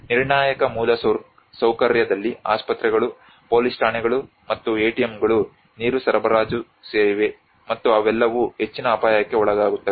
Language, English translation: Kannada, Critical infrastructure includes hospitals, police stations, and ATMs, water supply and they are all subjected to the high risk